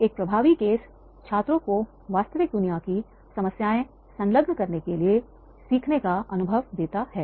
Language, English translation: Hindi, An effective case gives students a learning experience to engage real word problems